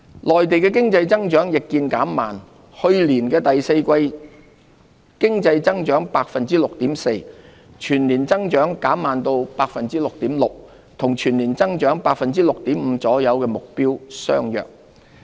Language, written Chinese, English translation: Cantonese, 內地經濟增長亦見減慢，去年第四季經濟增長 6.4%， 全年增長減慢至 6.6%， 與全年增長 6.5% 左右的目標相若。, The Mainland economy is also slowing down . A 6.4 % growth was recorded in the fourth quarter of last year with the annual growth rate reducing to 6.6 % close to the full - year growth target of around 6.5 %